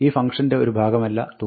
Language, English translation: Malayalam, The sum is not the part of this function